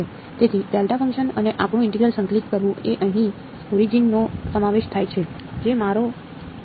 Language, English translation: Gujarati, So, integrating the delta function and our integral is including the origin over here that is my S epsilon right